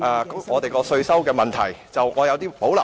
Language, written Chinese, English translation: Cantonese, 我們的稅收問題，我有所保留。, our tax concerns I have reservations